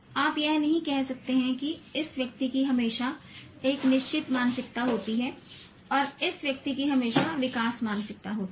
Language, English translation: Hindi, So you cannot say that this person always has a fixed mindset and this person always has a growth mindset